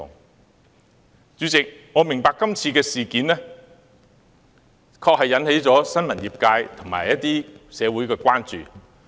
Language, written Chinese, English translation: Cantonese, 代理主席，我明白這次事件確實引起了新聞業界和一些社會人士的關注。, Deputy President this incident has certainly aroused the concern of the press sector and some members of the public